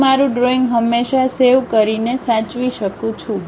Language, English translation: Gujarati, I can always save my drawing like Save